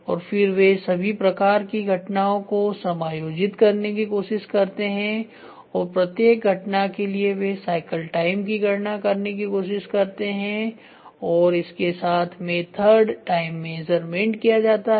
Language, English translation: Hindi, And then they try to accommodate all sorts of events and for each event they tried to calculate the cycle time and with that the method time measurement is done